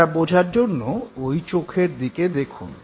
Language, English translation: Bengali, To comprehend this let us look into his eyes